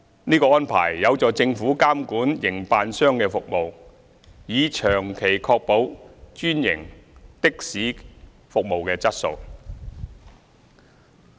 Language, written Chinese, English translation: Cantonese, 這安排有助政府監管營辦商的服務，以長期確保專營的士服務的質素。, This arrangement can help the Government monitor the operators services thereby ensuring the quality of franchised taxi services in the long term